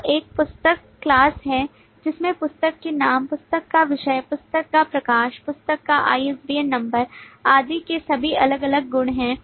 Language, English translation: Hindi, So there is a book class which has all this different properties of the name of the book, the subject of the book, the publisher of the book, the ISBN number of the book and so on